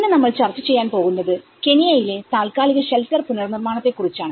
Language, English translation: Malayalam, Today, we are going to discuss about temporary shelter reconstruction in Kenya